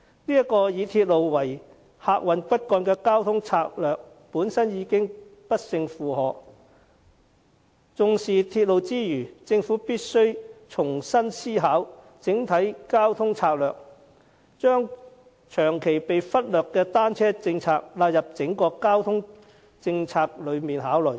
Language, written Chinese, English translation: Cantonese, 這個以鐵路為客運骨幹的交通策略本身已經不勝負荷，因此，在重視鐵路之餘，政府必須重新思考整體交通策略，將長期被忽略的單車政策納入整個交通政策來考慮。, The transport strategy of relying on railways as the backbone of transport services is overloaded . Hence apart from attaching importance to railways the Government must rethink its overall transport strategy and include a policy on cycling in considering the overall transport policy